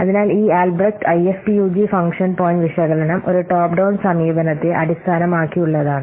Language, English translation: Malayalam, So this Albreast IFPUG function point analysis is based on a top down approach